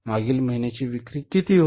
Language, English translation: Marathi, Previous month sales are how much